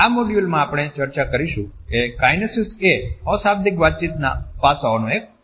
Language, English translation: Gujarati, In this module, we would discuss Kinesics is a part of nonverbal aspects of communication